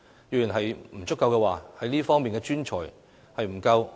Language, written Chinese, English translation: Cantonese, 若不足夠，哪方面的專才不夠？, If there is a manpower shortage what kinds of professionals are in short supply?